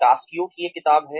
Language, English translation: Hindi, There is a book by, Cascio